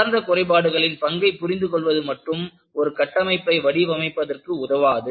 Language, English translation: Tamil, Understanding the role of flaws, does not help you to design the structure